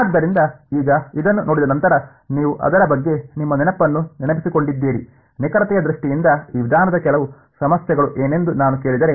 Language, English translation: Kannada, So, now having seen this now that you have refresh your memory about it, if I ask you what would be some of the problems with this approach in terms of accuracy